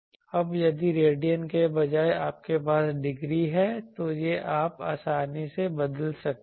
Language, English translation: Hindi, Now if instead of radian you have degree then this you can easily convert those are thing